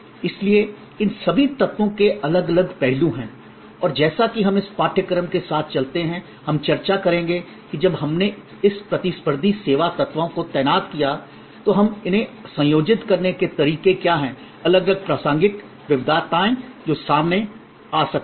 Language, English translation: Hindi, So, all these elements therefore, have different aspects and as we go along the course we will discuss that when we deployed this competitive service elements, what are the ways we combine them, what are the different contextual variations that may come up out